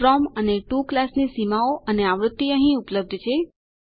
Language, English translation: Gujarati, the From and to class boundaries and frequency is available here